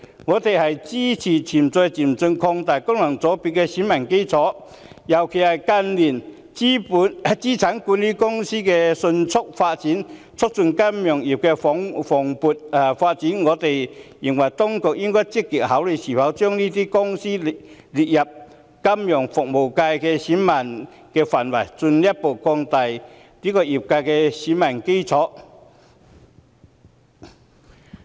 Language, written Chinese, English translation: Cantonese, 我們支持循序漸進擴大功能界別的選民基礎，尤其因為資產管理公司近年發展迅速，促進金融業的蓬勃發展，我們認為當局應積極考慮是否將這些公司納入金融服務界的選民範圍，進一步擴大界別的選民基礎。, We support the gradual and progressive expansion of the electorate of FCs . In particular the rapid development of asset management companies in recent years has promoted the financial industry to flourish and we are of the opinion that the authorities should consider proactively whether these companies should be included as electors of the Financial Services Constituency to further expand its electorate